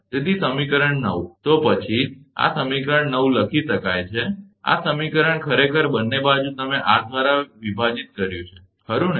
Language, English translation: Gujarati, So, equation 9, then can these equation 9 can be written as, this these equation actually both side you divided by r, right